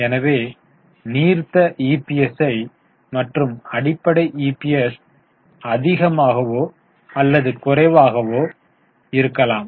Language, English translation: Tamil, So, diluted EPS and basic EPS is more or less same